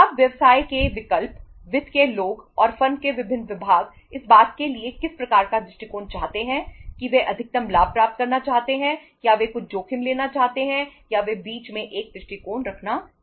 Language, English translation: Hindi, Now choices of the business, finance people and the different department of the firm what type of the approach they want to have whether they want to maximize the profitability or they want to take some risk or they want to have a approach in between